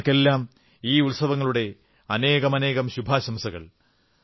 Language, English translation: Malayalam, I extend my best wishes to all countrymen for these festivals